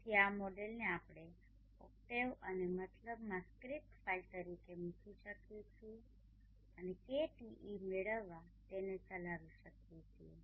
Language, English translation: Gujarati, So this model we can put it as script file within the octave and mat lab and execute it to obtain KTe